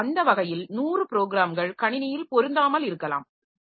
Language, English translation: Tamil, So, that way 100 programs may not be fitting into the system